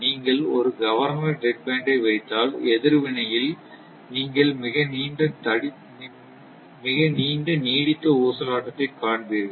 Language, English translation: Tamil, If you put governor dead band, then in the response you will see a very long sustained oscillation